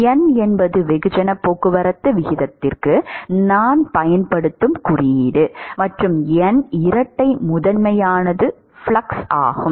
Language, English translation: Tamil, N is the symbol I use for mass transport rate and N double prime is the flux